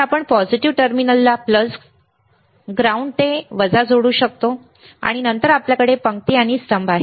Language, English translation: Marathi, So, you can connect the positive terminal to plus ground to minus right, and then you have rows and columns